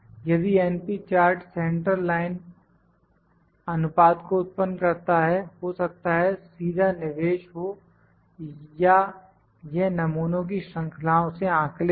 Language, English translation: Hindi, If np chart produce the central line proportion maybe input directly, or it may be estimated from the series of samples